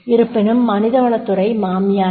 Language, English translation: Tamil, However the HR department is not the mother in law